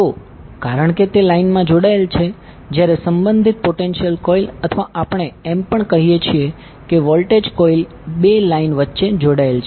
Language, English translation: Gujarati, So because it is connected in the line while the respective potential coil or we also say voltage coil is connected between two lines